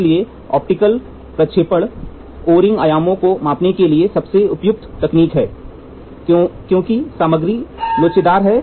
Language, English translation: Hindi, So, optical projection is the most suitable technique to measure the O ring dimensions because the material is elastic in nature